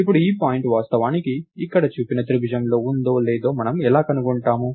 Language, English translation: Telugu, Now, how do we find out, whether this point is actually within the triangle shown here